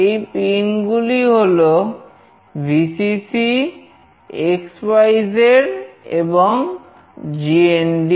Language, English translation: Bengali, So, these pins are Vcc, x, y, z and GND